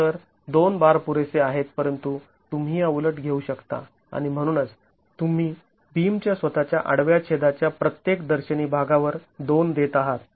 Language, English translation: Marathi, So two bars are sufficient but you can have reversal and therefore you are going to be giving two on each phase of the beam cross section itself